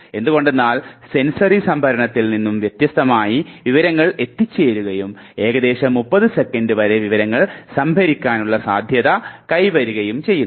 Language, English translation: Malayalam, Because the information has come and unlike the sensory storage, you have the possibility of storing the information for approximately somewhere up to 30 seconds